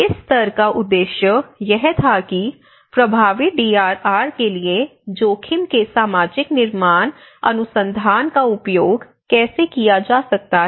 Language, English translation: Hindi, So, the purpose and objectives of this session were to identify how research on social construction of risks can be used for effective DRR